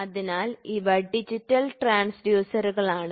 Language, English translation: Malayalam, These two figures are transducers